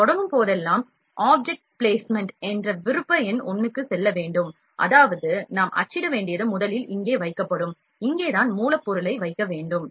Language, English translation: Tamil, Whenever we start we have to go to the option number 1 that is object placement, which means that, what we need to print will place it here first, the place of placement of the object here